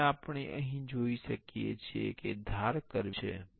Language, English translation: Gujarati, Now, here we can see the edges are curvy